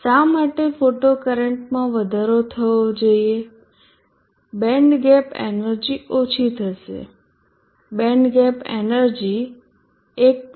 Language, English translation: Gujarati, Why should the photocurrent increase the band gab energy reduces the band gab energy was 1